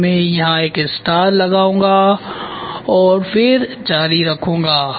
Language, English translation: Hindi, So, I will put a star here and then I will continue